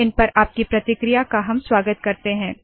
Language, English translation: Hindi, We welcome your feedback on these